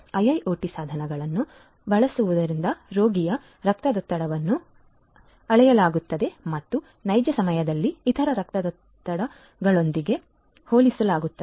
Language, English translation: Kannada, Using IIoT devices the patient’s blood pressure is measured and compared with the other blood pressures in real time